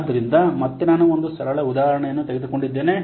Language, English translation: Kannada, So again, I have taken a simple example